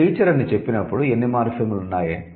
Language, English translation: Telugu, So, when you say teacher, how many morphemes